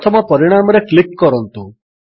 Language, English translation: Odia, Click on the first result